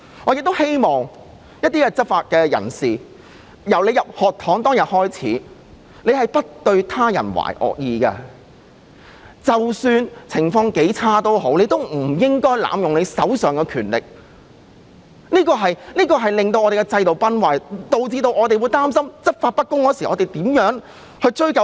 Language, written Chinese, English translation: Cantonese, 我想對一些執法者說，你們進入學堂時，不對他人懷惡意，即使情況很差，也不應該濫用手上的權力，否則我們的制度會崩壞，市民會擔心執法不公的時候無法追究。, I would like to tell some enforcement officers that when you entered the Police College you harboured no ill intention towards others . Even when the situation is very bad you should not abuse your power otherwise our system will crumble and members of the public will be concerned that no one can be held accountable for unfair law enforcement